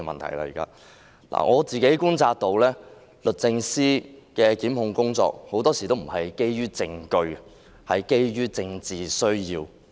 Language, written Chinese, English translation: Cantonese, 我觀察到律政司的檢控工作很多時候不是基於證據，而是基於政治需要。, I have observed that DoJs prosecution work is often based on political needs rather than evidence